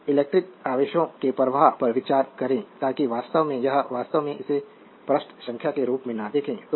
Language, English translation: Hindi, Now, consider the flow of electric charges a so, actually this is actually you do not look it this as the page number right